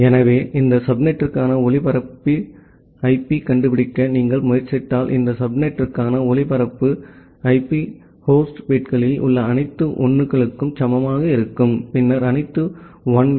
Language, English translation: Tamil, So, in that case if you try to find out the broadcast IP for this subnet, so the broadcast IP for this subnet will be equal to all 1s in the host bits, then all 1s